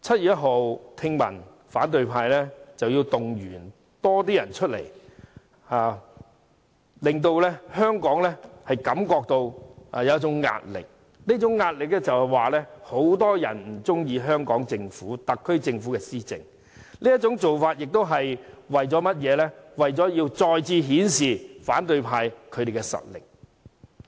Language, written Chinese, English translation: Cantonese, 據聞反對派希望在7月1日動員更多市民參加遊行，企圖製造出一種很多人不喜歡特區政府施政的壓力，而這種做法最終也是為了再次顯示反對派的實力。, As I understand it the opposition camp is trying to mobilize more people to take to the streets so as to put pressure on the SAR Government by creating the impression that many people are dissatisfied with it . Again the ultimate goal is to flex their muscle as the opposition camp